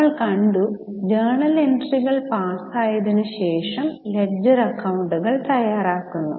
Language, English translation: Malayalam, We have just seen that journal entries are passed then leisure accounts are prepared